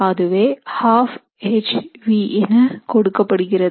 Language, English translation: Tamil, That is given by 1/2 hv